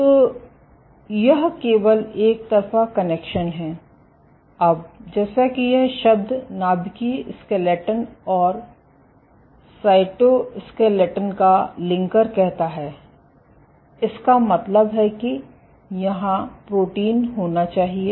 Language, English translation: Hindi, So, this is only one way connection, now as this term says linker of nuclear skeleton and cytoskeleton; that means, that there must be proteins